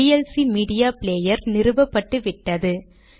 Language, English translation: Tamil, Here we can see that vlc media player is listed